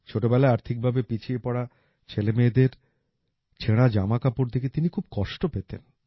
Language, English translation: Bengali, During his childhood, he often used to getperturbedon seeing the torn clothes of poor children